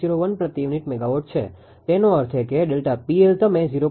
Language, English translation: Gujarati, 01 per unit megawatt; that means, delta P L you take minus 0